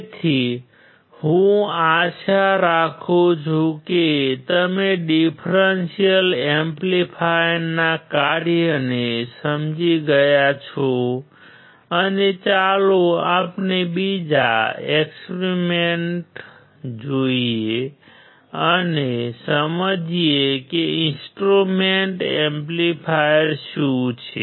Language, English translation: Gujarati, So, I hope that you understood the function of the differential amplifier and let us see another experiment and understand what are the instrumentation amplifier